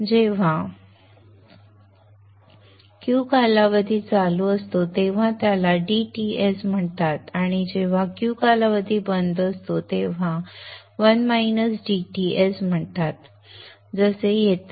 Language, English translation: Marathi, So when the cube is on the period is called DTS and when the Q is off the period is called one minus DTS